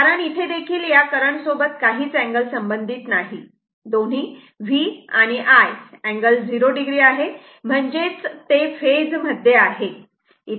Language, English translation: Marathi, Because, here also no angle associated with that both V and I are angle 0 degree; that means, they are in the same phase